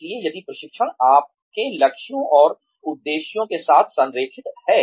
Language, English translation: Hindi, So, if the training, is aligned with your goals and objectives